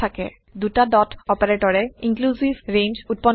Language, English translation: Assamese, (..) two dot operator creates inclusive range